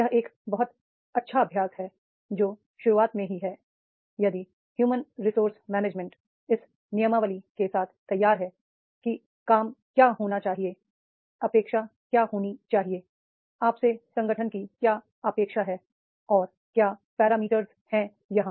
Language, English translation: Hindi, This is a very good practice that is in the beginning itself if the HR management is ready with the manual that is what should be the job what should be expectation, what is the expectation of the organization from you and what are the parameters are there